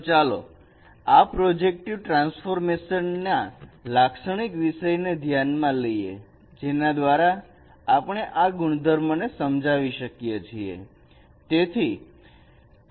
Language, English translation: Gujarati, So let us consider a typical case of this projective transformation, a kind of schematic diagram by which we can explain these properties